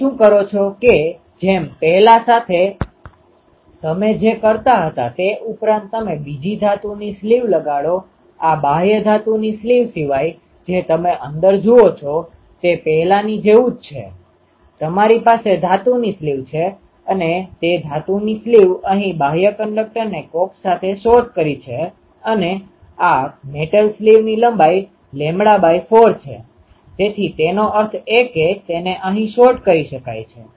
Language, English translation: Gujarati, What you do that whatever previously you are doing apart from that you put another metal sleeve this outer metal sleeve you see inside everything is like the previous one you have a metal sleeve and that metal sleeve is shorted to coax outer conductor here and what is the length of this metal sleeve lambda by 4, so that means, it is shorted here